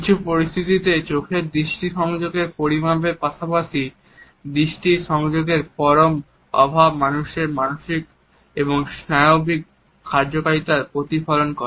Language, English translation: Bengali, The level of eye contact as well as in some situations and absolute lack of eye contact reflects the persons psychiatric or neurological functioning